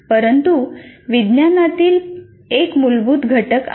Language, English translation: Marathi, But there is a basic science component